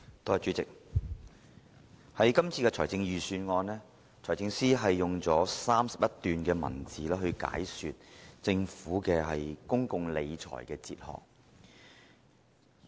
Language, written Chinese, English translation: Cantonese, 在今年的財政預算案中，財政司司長用了31段文字解說政府的公共理財哲學。, In this years Budget the Financial Secretary devoted 31 paragraphs to expound on the Governments philosophy of public finance management